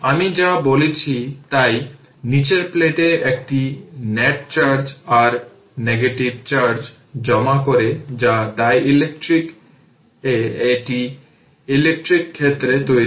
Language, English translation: Bengali, Whatever I told hence the lower plate accumulates a net charge your negative charge that produce an electrical field in the dielectric